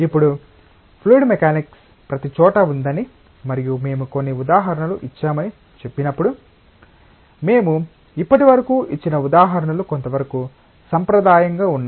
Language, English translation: Telugu, Now, when we say fluid mechanics is everywhere and we have given certain examples, the examples that we have given so far are somewhat traditional